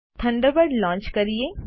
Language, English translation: Gujarati, Lets launch Thunderbird